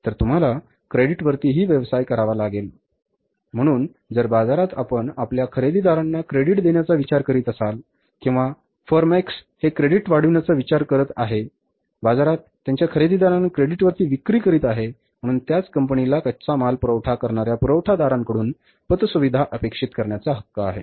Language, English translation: Marathi, So, if you are thinking of extending the credit to your buyers in the market or form X is thinking of extending the credit, selling on credit to their buyer in the market, so the same firm, firm X has the right to expect the credit facility from its suppliers who gives the, who supplies the raw material